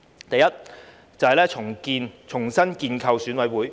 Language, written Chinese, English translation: Cantonese, 第一，重新建構選委會。, The first is the reconstitution of EC